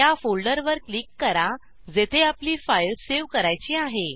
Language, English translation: Marathi, Click on the folder where you want to save your file